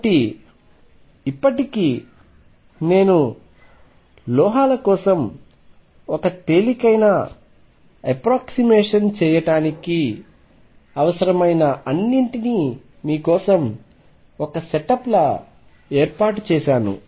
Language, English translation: Telugu, So, by now I have set up pretty much for you what all be require to do a very simple approximation for metals